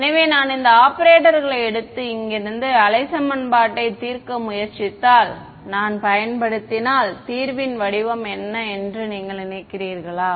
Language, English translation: Tamil, So, if I use if I take these operators and get try to solve wave equation from here do you think the form of the solution